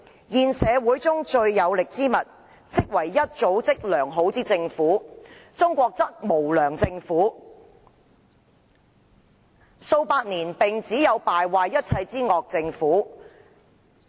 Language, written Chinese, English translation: Cantonese, 現社會中最有力之物，即為一組織良好之政府。中國則並無良政府，數百年來只有敗壞一切之惡政府。, The most powerful thing in the current society is a well - organized government yet China does not have a good government . For centuries there was only a bad government which ruined everything